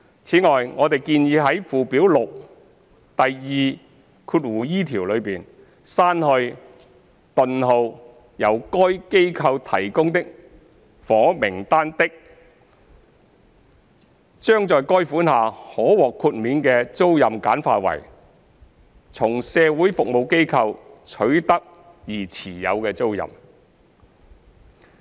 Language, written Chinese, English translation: Cantonese, 此外，我們建議在附表6第 2e 條中，刪去"、由該機構提供的房屋單位的"，將在該款下可獲豁免的租賃簡化為"從社會服務機構取得而持有的租賃"。, Furthermore we have proposed deleting of a housing unit provided by the organization in the proposed Schedule 6 in section 2e so as to simplify the excluded tenancies under that subsection to a tenancy held from a social services organization